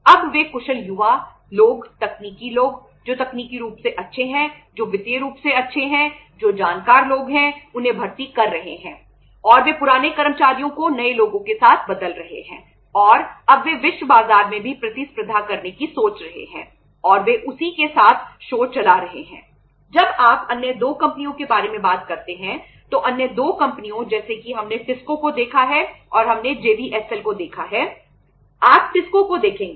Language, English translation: Hindi, Now they are hiring say efficient young people, technical people who are technically sound who are financial sound who are say knowledgeable people and they are replacing the old staff with the new people and now they are thinking of competing in the say world markets also and they are running the show with that